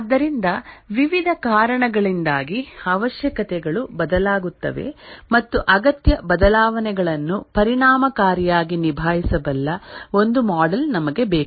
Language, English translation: Kannada, So the requirements change due to various reasons and we need a model which can effectively handle requirement changes